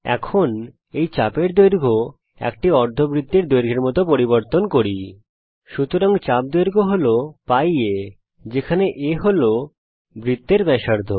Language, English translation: Bengali, Now lets change the length of this arc to that of a semi circle, so the arc length is [π a], where a is the radius of the circle